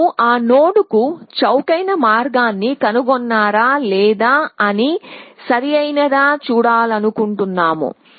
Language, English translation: Telugu, We want to see if we have found the cheaper path to that node or not, correct